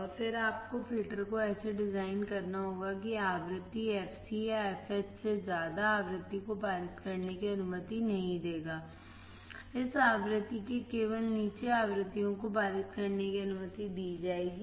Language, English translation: Hindi, And then you have to design the filter such that above the frequency fc or fh, it will not allow the frequency to pass; only frequencies below this frequency will be allowed to pass